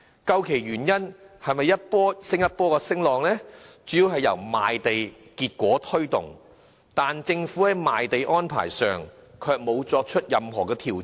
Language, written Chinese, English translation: Cantonese, 究其原因，是這一波又一波的升浪主要由賣地結果推動，但政府在賣地安排上卻沒有作出任何調整。, The reason can be attributed to the fact that the wave after wave of property price rises are mainly triggered by government land sale results but the Government has made no corresponding adjustment to its land sale arrangements